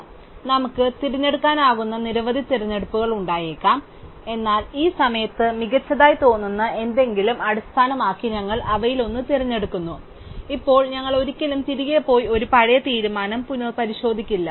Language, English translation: Malayalam, So, there maybe a number of choices we could make, but we just pick one of them based on something which looks good at the moment and now we never go back and revise an earlier decision